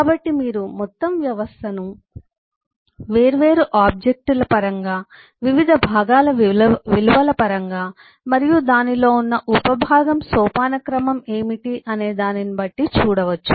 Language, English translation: Telugu, so you can look at the whole system in terms of the different objects, different eh component values it has and what is the sub component hierarchy it has